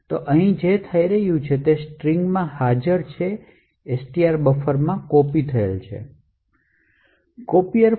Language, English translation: Gujarati, So, what is happening here is that is which is present in STR is copied into buffer